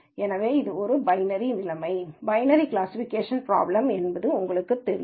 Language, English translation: Tamil, So, this is you know a binary situation, binary classification problem